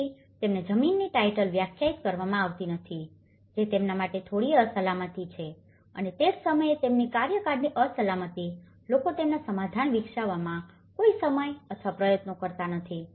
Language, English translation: Gujarati, So, the moment land titles are not defined that gives a little insecurity for them and that is where their insecurity of tenure, people spend no time or effort in developing their settlement